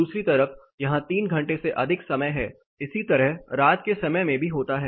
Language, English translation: Hindi, On the other hand, here it is more than 3 hours, similar thing happens in the night time also